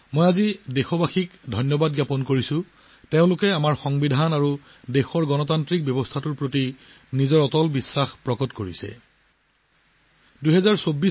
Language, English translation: Assamese, Friends, today I also thank the countrymen for having reiterated their unwavering faith in our Constitution and the democratic systems of the country